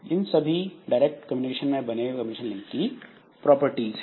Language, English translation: Hindi, So, these are the properties of communication link in case of indirect communication